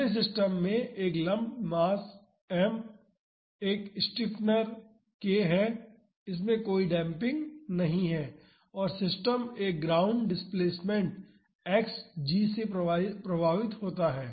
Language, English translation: Hindi, The next system has a lumped mass m and a stiffener k this does not have any damping and the system is affected by a ground displacement Xg